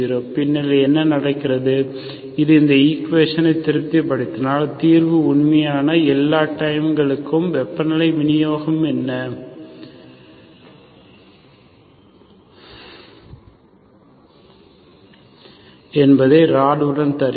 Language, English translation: Tamil, Then what happens, if it satisfies this equation, or the solution actually gives you what is the temperature distribution for all times, all along the rod